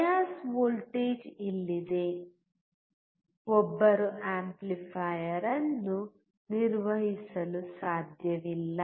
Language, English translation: Kannada, Without bias voltage, one cannot operate the amplifier